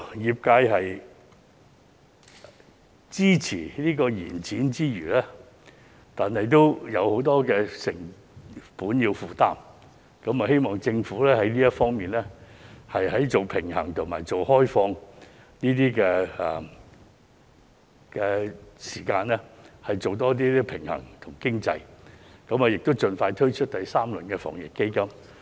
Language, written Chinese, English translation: Cantonese, 業界支持延展之餘，也有很多成本需要負擔，希望政府在平衡開放與封閉的時間方面，多從經濟角度考慮，並作出平衡，以及盡快推出第三輪防疫抗疫基金。, While industry members support the extension they have to bear many costs . I hope that the Government strikes a balance in the timing of opening and closure adopting more economic perspectives in its consideration and launch the third round of the Anti - epidemic Fund as soon as possible